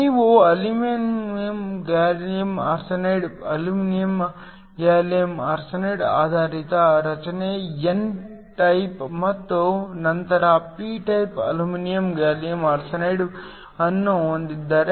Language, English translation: Kannada, If you have an aluminum gallium arsenide gallium arsenide based structure n type and then p type aluminum gallium arsenide